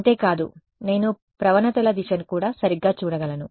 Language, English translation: Telugu, Not just that, I can also look at the direction of the gradients right